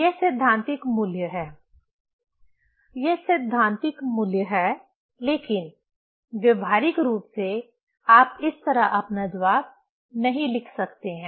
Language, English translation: Hindi, This is the theoretical value; this is the theoretical value, but practically you cannot write your answer like this